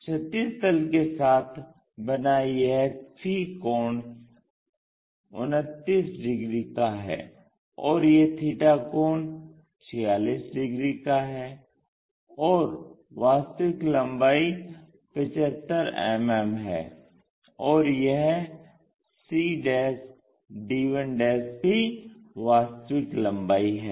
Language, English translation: Hindi, Let us measure this angle, the phi angle with horizontal it makes 29 degrees and the theta angle is 46, and true length is 72 mm, and this is also true length